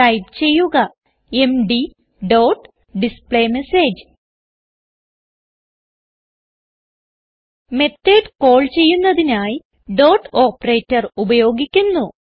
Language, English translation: Malayalam, So type md dot displayMessage The Dot operator is used to call the method